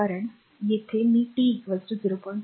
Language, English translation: Marathi, So, at t is equal to 0